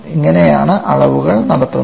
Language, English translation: Malayalam, This is how the measurements are done